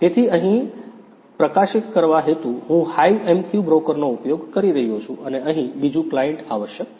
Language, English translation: Gujarati, So, here for publishing purpose, I am using the HiveMQ broker and there is another client is required over here